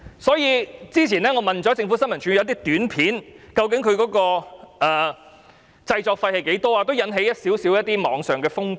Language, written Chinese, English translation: Cantonese, 我早前曾詢問政府新聞處有關一些短片的製作費用，當時在網上掀起一些小風波。, a spin doctor . Not long ago I asked ISD about the production expenses of some APIs and some small disputes have taken place on the Internet